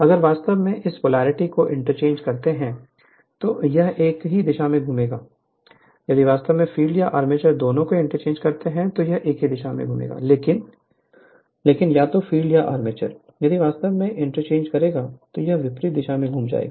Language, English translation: Hindi, So, if you interchange this polarity also it will rotate in the same direction, if you interchange both filed or both field and armature, it will rotate in the same direction, but either field or armature, if you interchange then it will rotate in the reverse direction right